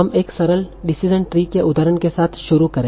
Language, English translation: Hindi, So we'll start with an example of a simple decisionary